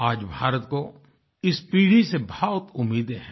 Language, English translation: Hindi, Today, India eagerly awaits this generation expectantly